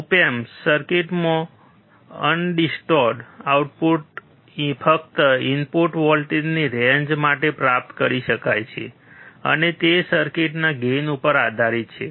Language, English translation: Gujarati, In op amp circuits, undistorted output can only be achieved for a range of input voltage, and that depends on gain of the circuit